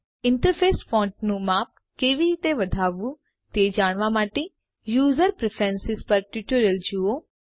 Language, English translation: Gujarati, To learn how to increase the Interface font size please see the tutorial on User Preferences